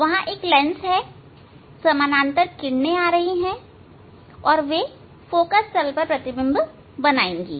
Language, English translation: Hindi, One lens is there, parallel rays are coming and then they will form image at the focal plane